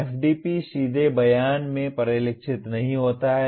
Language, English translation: Hindi, FDP does not directly get reflected in the statement